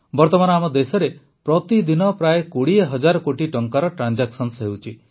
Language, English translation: Odia, At present, transactions worth about 20 thousand crore rupees are taking place in our country every day